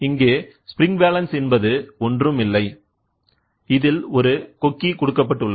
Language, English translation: Tamil, Spring balance is nothing, but a hook is there